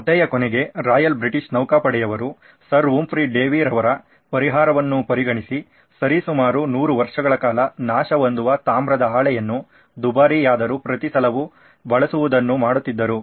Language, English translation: Kannada, To end the story Royal British Navy decided that they are going to take away Sir Humphry Davy’s solution and they continued for 100 years with copper being corroded and they would replace the expensive copper every time it was too much